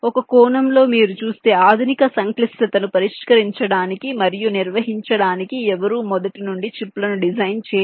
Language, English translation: Telugu, you see, to tackle and handle the modern day complexity, no one designs the chips from scratch